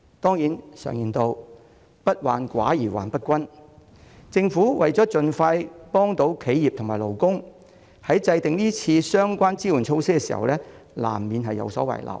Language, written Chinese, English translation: Cantonese, 當然，常言道"不患寡而患不均"，政府為了盡快協助企業和勞工，在制訂今次相關支援措施時難免有所遺漏。, As the Government aimed at assisting enterprises and workers at the soonest possible time omissions were inevitable when formulating the relevant support measures this time around